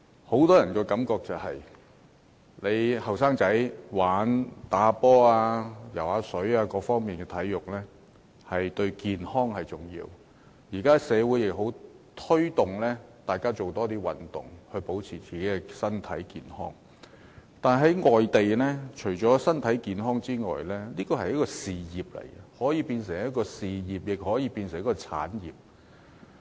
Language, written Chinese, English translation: Cantonese, 很多人認為年輕人打球和游泳等，進行各方面的體育運動，對健康很重要，而社會現在亦很鼓勵大家多做運動，保持身體健康，但是，在世界其他地方，體育運動除了是為身體健康而進行的活動，也是一門事業，更可變成一項產業。, Many people think that for young people doing various sports say playing ball games and swimming is important for their health . And nowadays we are also strongly encouraged to do more sports in order to keep ourselves strong and healthy . However in other parts of the world sports can be a career option and can even become an industry apart from being activities done for the sake of good health